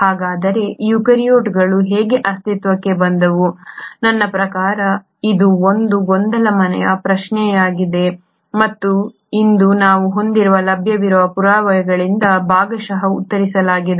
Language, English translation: Kannada, So how is it that the eukaryotes came into existence, I mean this has been a puzzling question and it is partially answered by the available evidences that we have today